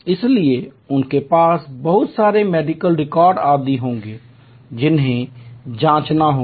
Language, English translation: Hindi, So, they will have lot of medical records etc which will need to be checked